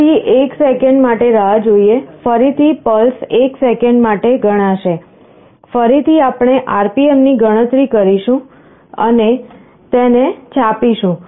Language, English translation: Gujarati, Again wait for 1 second, again the pulses will get counted for 1 seconds, again we calculate RPM and print it